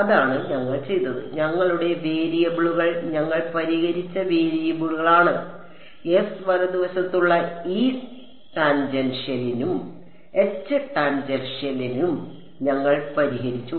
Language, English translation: Malayalam, That is what we did and our variables were the variables that we solved that we solved for the E tangential and H tangential on S right